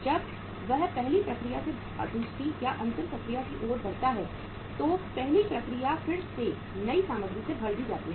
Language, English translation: Hindi, When it moves from the second first process to the second or the final process then that first step is also replaced by the new material coming from the beginning of the process